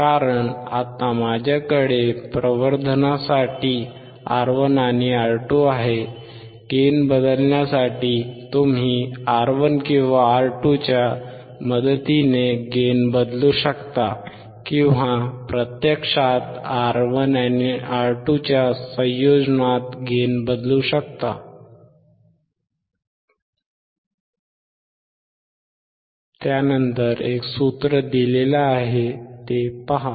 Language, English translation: Marathi, Because now I have R1 and R2 in the for the amplification, for the changing of the gain, you can change the gain with the help of R1, we can change the gain with the help of R2 or actually in combination of R1 and R2